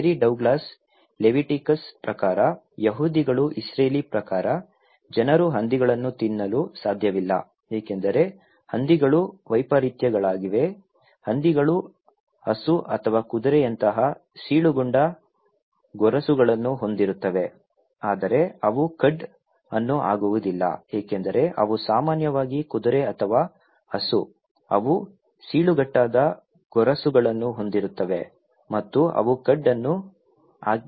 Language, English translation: Kannada, Mary Douglas found that according to the Leviticus, according to the Jews Israeli, people cannot eat pigs because pig is; pigs are anomalies, like pigs have cloven hooves like cow or horse but they do not chew the cud like other cloven hooves as land animals generally do like horse or cow they have cloven hooves and they do chew cud